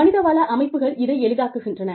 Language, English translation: Tamil, The human resource systems, facilitate this